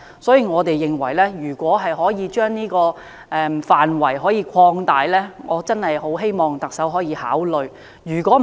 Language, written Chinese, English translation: Cantonese, 因此，我們認為可以將調查範圍擴大，我確實希望特首可以考慮這做法。, Therefore we think the scope of investigation can be expanded and I really hope the Chief executive can consider this suggestion